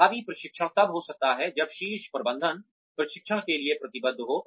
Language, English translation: Hindi, Effective training can happen, when the top management is committed to training